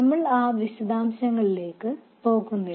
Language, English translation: Malayalam, We won't go into those details